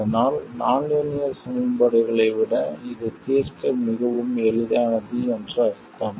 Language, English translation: Tamil, So, that means that it is much easier to solve than the nonlinear equation